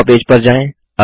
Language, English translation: Hindi, Move to the draw page